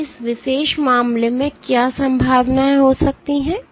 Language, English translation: Hindi, So, in this particular case what might be the possibilities